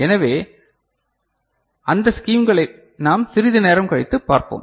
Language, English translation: Tamil, So, those schemes we shall see little later